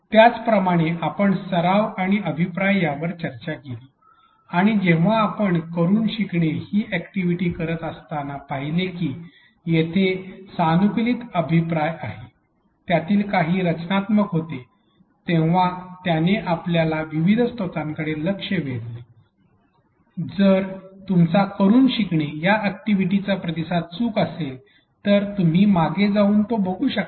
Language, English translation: Marathi, Similarly, we discussed practice and feedback and when you did the learning by doing activities, you saw that there was customized feedback, some of it was constructive, it pointed you to the various resources that you could go back and look at in case you are learning by doing activity response was incorrect